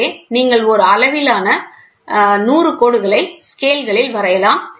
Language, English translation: Tamil, So, when you draw 100 lines marks on a scale